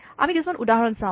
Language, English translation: Assamese, Let us see some examples